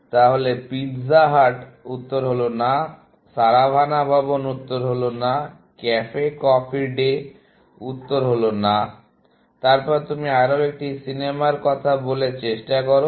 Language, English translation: Bengali, So, pizza hut; answer is no, Saravanaa Bhavan; the answer is no, Cafe Coffee Day; the answer is no, essentially; then, you try one more movie